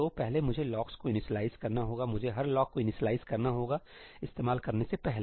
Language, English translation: Hindi, So, first I have to initialize the locks, I have to initialize every lock before using it